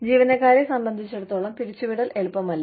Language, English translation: Malayalam, Layoffs are not easy, for the employees